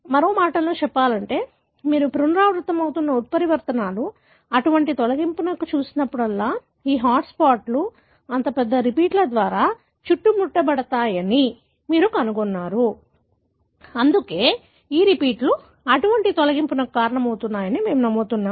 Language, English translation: Telugu, In other words, whenever you looked into mutations that are happening recurrently, such deletions, you find that these hotspots are flanked by such large repeats, right and that is why we believe that these repeats result in such kind of deletion